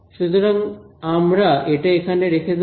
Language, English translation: Bengali, So, this is something that we will keep